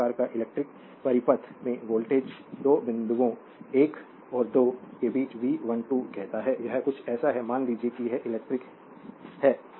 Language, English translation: Hindi, Thus the voltage say V 12 between 2 points, 1 and 2 in an electric circuit it is something like this suppose electric